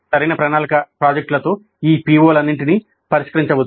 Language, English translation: Telugu, With proper planning, projects can address all these POs